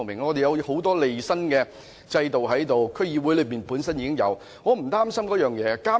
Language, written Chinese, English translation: Cantonese, 我們有很多利益申報的制度，區議會本身已有這制度，我對此並不擔心。, We have systems for declaration of interests and since the DCs already have such a system I do not feel concerned about this